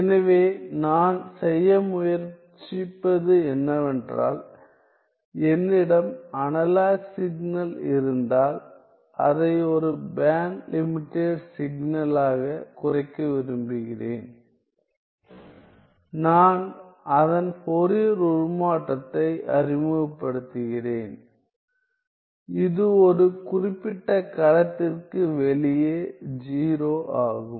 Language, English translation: Tamil, So, what I am trying to do is, if I have an analog signal and I want to reduce it to a band limited signal; I introduce its Fourier transform, such that it is 0 outside a particular domain